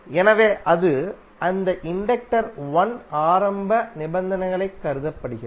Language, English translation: Tamil, So that is considered to be as the initial condition for that inductor 1